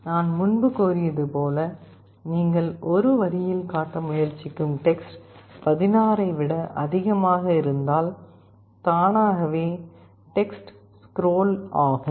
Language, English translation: Tamil, And as I said earlier, if the text you are trying to display on a line is greater than 16 then automatically the text will start to scroll